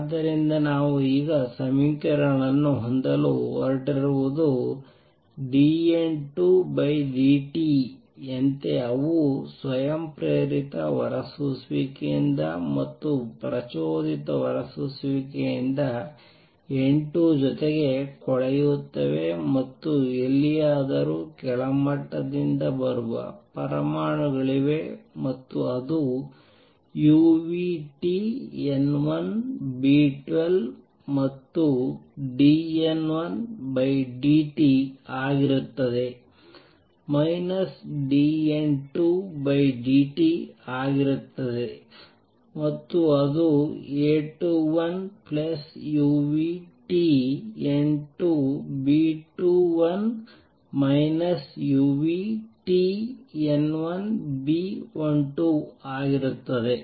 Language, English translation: Kannada, So, what we have going to now have the equations as is dN 2 by dt they decay because of the spontaneous emission and also due to stimulated emission N 2 plus anywhere there are atoms coming from the lower level and that will be B 12 u nu T N 1 and dN 1 by dt will be minus dN 2 by dt and that will A 21 plus B 2 1 u nu T N 2 minus B 12 u nu T N 1